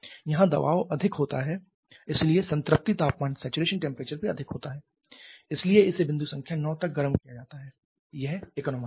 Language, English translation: Hindi, Here the saturation pressure is higher so saturation temperature is also higher so it is heated up to point number 9 this is the corresponding economizer